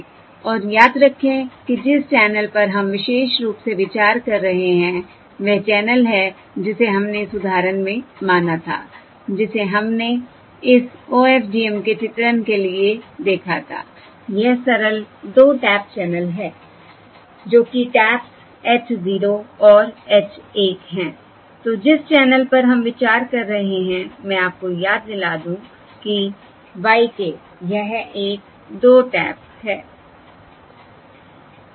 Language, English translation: Hindi, And remember that the channel that we are considering in particular, that is the channel that we had considered in the example that we had seen um for this illustration of this OFDM is the simple 2 tap channel, which are the taps h 0 and h 1